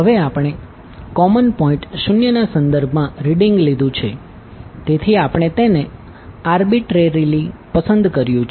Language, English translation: Gujarati, Now we have taken the reading with reference to common point o, so we have selected it arbitrarily